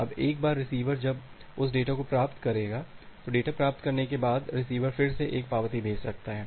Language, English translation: Hindi, Now, once the receiver will receive that data, after receiving the data, the receiver can again send an acknowledgement